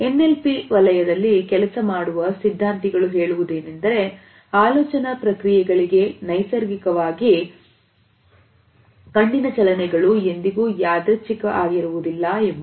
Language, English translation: Kannada, Theorist were working in the area of NLP suggest that the natural eye movements that accompany thought processes are never random